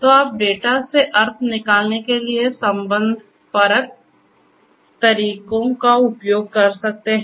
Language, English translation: Hindi, So, that you know you could use the relational methodologies for extracting meaning out of the data